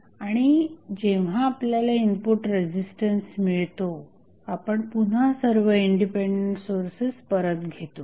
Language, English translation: Marathi, And when we get I the input resistance, we again put all the Independent Sources back